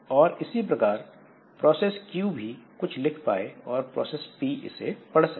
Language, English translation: Hindi, Similarly, process Q can write here and process P can read from here